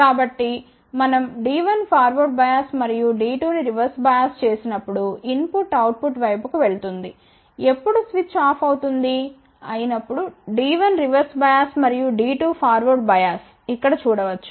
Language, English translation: Telugu, So, when we forward bias D 1 and reverse bias D 2 then input will go to the output side, when switch will be off when D 1 is reverse bias you can see over here and when D 2 is forward bias